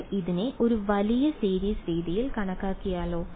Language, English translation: Malayalam, What if we approximate this by series